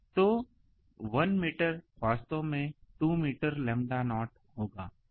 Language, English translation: Hindi, So, 1 meter will be actually 2 meter will be the um lambda naught